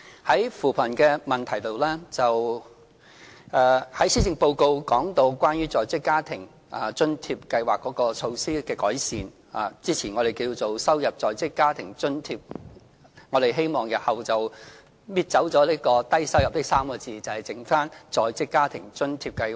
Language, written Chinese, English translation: Cantonese, 在扶貧方面，施政報告提到對在職家庭津貼計劃作出的改善，這計劃先前稱為低收入在職家庭津貼，我們日後會拿走"低收入"這3個字，把計劃易名為在職家庭津貼計劃。, On poverty alleviation the Policy Address has proposed improvements to the former Low - income Working Family Allowance Scheme . The Scheme will be renamed as the Working Family Allowance Scheme with the words Low - income deleted